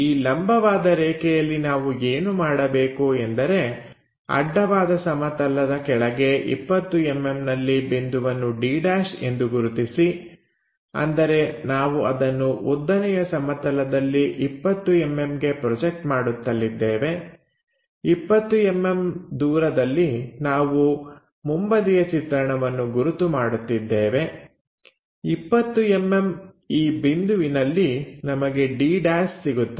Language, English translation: Kannada, On this perpendicular line what we have to do point d is 20 mm below horizontal plane; that means, if we are projecting that 20 mm onto vertical plane at a 20 mm distance we will mark this front view